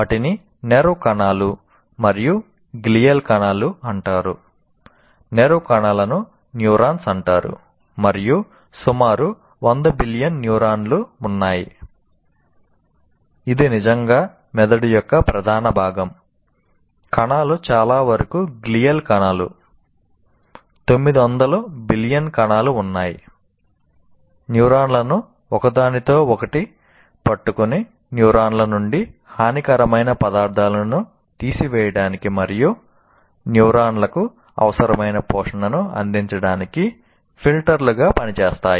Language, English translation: Telugu, And most of the cells are glial cells, that is, 900 billion cells, they hold the neurons together and act as filters to keep and harmful substances out of the neurons and provide the required nutrition to the neurons as well